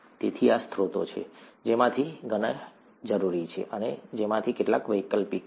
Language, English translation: Gujarati, So these are sources, many of which are required, and some of which are optional